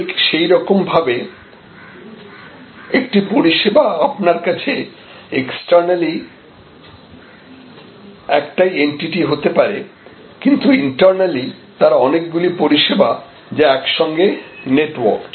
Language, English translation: Bengali, Similarly, a service may be externally one entity in front of you, but internally a plethora of services which are networked together